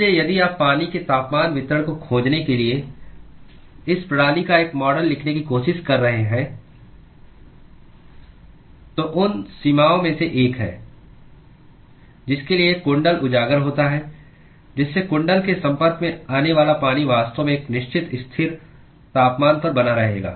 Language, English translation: Hindi, So, if you are trying to write a model of this system to find the temperature distribution of water, then one of the boundaries to which the coil is exposed to to which the water is exposed to the coil will actually be maintained at a certain constant temperature